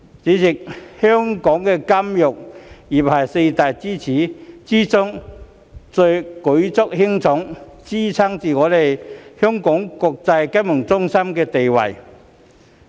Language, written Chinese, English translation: Cantonese, 主席，香港金融業是四大支柱之中最為舉足輕重，支撐着我們國際金融中心地位的。, President the financial industry of the four major pillar industries is of pivotal importance to Hong Kong as it is the backbone of our status as an international financial centre